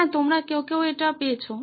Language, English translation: Bengali, Yes some of you got it